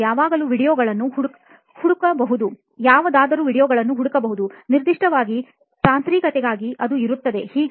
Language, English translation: Kannada, You can search videos on any, specifically for technical it is there